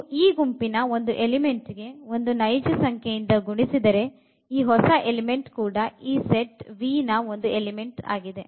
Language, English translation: Kannada, And if you multiply by a real number to this element of this set this new element is also an element of this set V